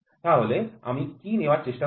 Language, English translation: Bengali, So, what I do is I try to take